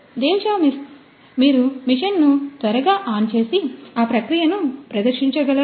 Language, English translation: Telugu, Devashish, could you please quickly switch on the machine and then demonstrate the process